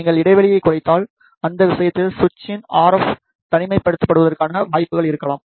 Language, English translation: Tamil, If you reduce the gap then in that case there maybe chances that the RF isolation of the switch may reduce